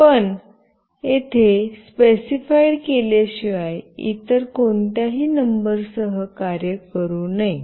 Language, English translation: Marathi, But, it should not work with any other numbers other than what is specified here